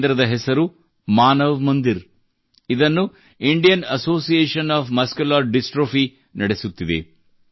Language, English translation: Kannada, The name of this centre is 'Manav Mandir'; it is being run by the Indian Association of Muscular Dystrophy